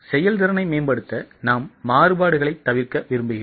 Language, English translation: Tamil, To improve efficiency, we want to avoid variances